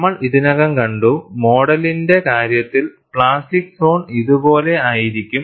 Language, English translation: Malayalam, And we have already seen, the plastic zone, in the case of mode one, will be something like this